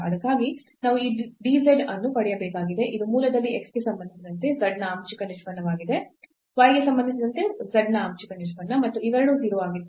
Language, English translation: Kannada, So, for that we need to get this dz which is the partial derivative of z with respect to x partial derivative of z with respect to y at the origin which was and both of them was 0